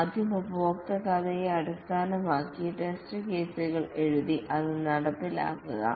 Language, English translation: Malayalam, First write the test cases based on the user story and then implement it